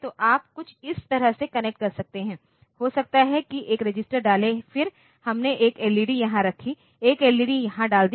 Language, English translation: Hindi, So, you can connect something like this, maybe put a register then we put 1 led here, put a led here